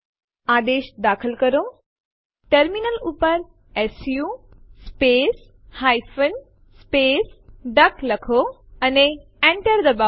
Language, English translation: Gujarati, Enter the command su space hyphen space duck on the terminal and press Enter